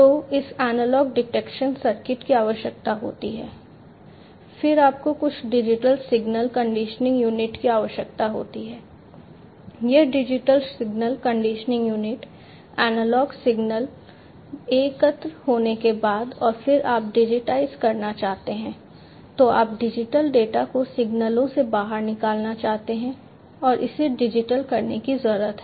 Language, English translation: Hindi, So, this analog detection circuit is required, then you need to have some digital signal conditioning unit, this digital signal conditioning unit will, you know, after the analog signal is collected and then you want to digitize you want to have digital data out of the signals you need to digitize it